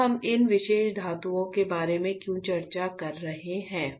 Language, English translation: Hindi, Now, why we are discussing about these particular metals